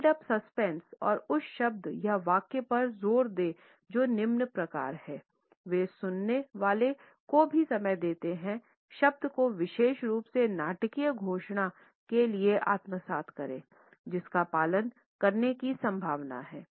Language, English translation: Hindi, The build up suspense and emphasize the word or sentence that follows, they also give time to the listener to assimilate the word particularly for the dramatic announcement which is likely to follow